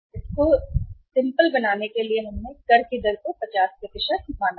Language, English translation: Hindi, For the sake of simplicity we have assumed the tax rate as 50% right